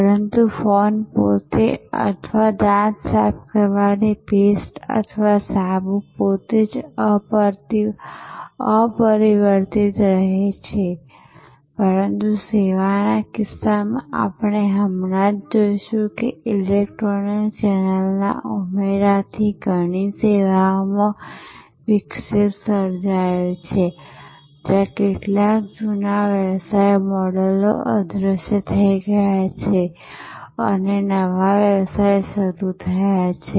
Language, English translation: Gujarati, But, the phone itself or the toothpaste itself or the soap itself remains unaltered, but in case of service we will just now see that is addition of electronic channel has transformed many services has created disruption, where some old business models have disappeared and new business models have emerged